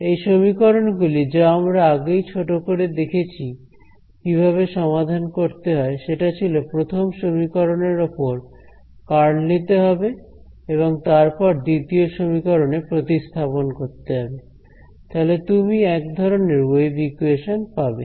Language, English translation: Bengali, These equations, we already had brief glimpse of how to solve them it was simple you take curl of first equation, substitute the second equation; you get a you will get a kind of wave equation